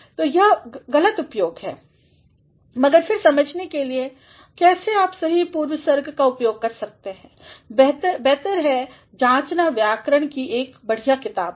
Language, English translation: Hindi, So, these are the faulty uses, but then in order to understand how you can make use of correct prepositions, it is better to go through a good book of grammar